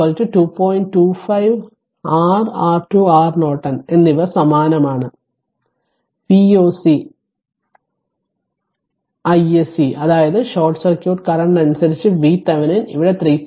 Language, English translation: Malayalam, 25, and R r Thevenin R Norton same it is V o c by [i o c/i s c] i SC; that means, V Thevenin by short circuit current here also 3